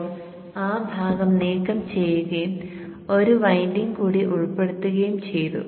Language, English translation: Malayalam, Now that portion we have removed and we have included one more winding